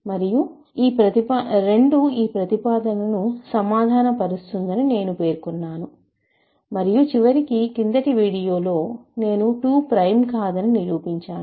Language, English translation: Telugu, And I claimed that 2 will do the job for us and I think in the end, by the end of the last video I proved that 2 is not prime